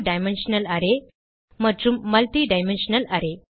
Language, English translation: Tamil, Two dimensional array and Multi dimensional array